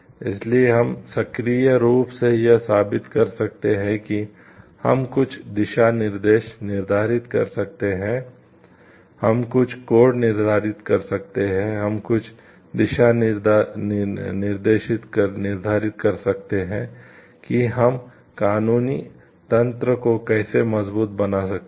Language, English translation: Hindi, So, that we can prove actively do something we can set some guidelines we can set some codes, we can set some guidelines to what how can we make the legal mechanism very strong